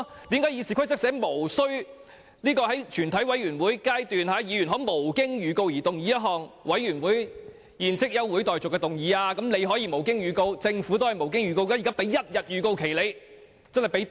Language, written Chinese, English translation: Cantonese, 既然《議事規則》訂明議員在全委會審議階段可無經預告動議休會待續的議案，政府也可以無經預告動議議案，現在給了一天預告，已經很寬鬆。, If RoP allowed Members to move without notice that further proceedings of the committee be adjourned at the Committee stage the Government could do the same without notice . It is very generous of the Government to give one - day notice